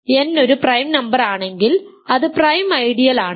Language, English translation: Malayalam, If n is a prime number its a prime ideal if n is not a prime number its not a prime ideal